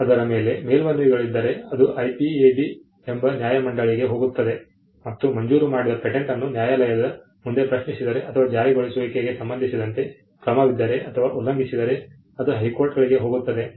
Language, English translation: Kannada, If there are appeals over it, it goes to the tribunal which is the IPAB and if a granted patent is questioned before a court or if there is an action with regard to enforcement say infringement, it goes to the High Courts